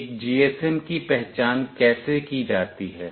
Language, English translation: Hindi, How a GSM is identified